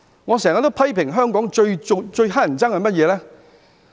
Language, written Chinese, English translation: Cantonese, 我經常批評香港最討厭的是甚麼呢？, What do I always criticize as being the most annoying in Hong Kong?